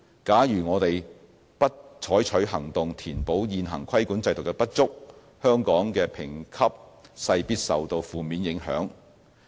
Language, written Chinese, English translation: Cantonese, 假如我們不採取行動填補現行規管制度的不足，香港的評級勢必受到負面影響。, If remedial action is not taken to deal with the deficiencies of the existing regulatory system it is almost certain that Hong Kong will receive adverse ratings